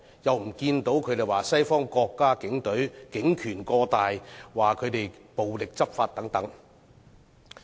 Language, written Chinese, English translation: Cantonese, 為何他們不指責西方國家警隊警權過大、暴力執法等呢？, Why do they not blame the police forces of Western countries for having too much power enforcing law violently and so forth?